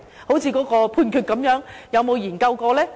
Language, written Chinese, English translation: Cantonese, 正如那項判決般，有沒有研究過呢？, By the same token regarding that Judgment has any study been conducted?